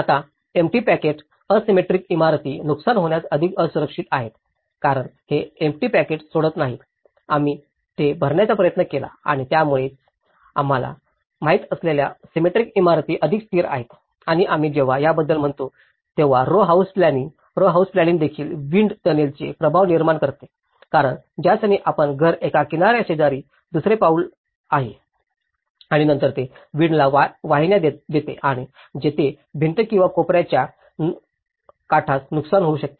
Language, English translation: Marathi, Now, asymmetric buildings with empty pockets are more vulnerable to damage because don’t leave these empty pockets, we tried to fill that and that is where these are more stable you know, the symmetric buildings are more stable and also when we say about the row house planning; the row house planning also creates wind tunnel effects because the moment your house is one step to another, next to the shore and then it channels the wind and that is where it can damage the edges of the walls or the corners